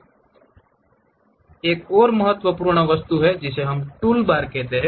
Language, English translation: Hindi, And there is another important object which we call toolbar